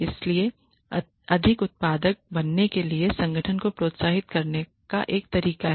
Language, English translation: Hindi, So, a way of incentivizing the organization for becoming more productive